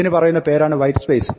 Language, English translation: Malayalam, These are what are called white space